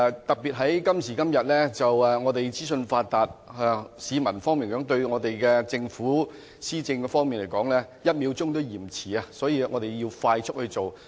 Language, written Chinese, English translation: Cantonese, 特別在今時今日資訊發達，市民對政府的施政"一秒都嫌遲"，所以要快速去做。, Nowadays the public can receive information instantly so they cannot put up with any delay even just one seconds delay in policy implementation so efforts have to be stepped up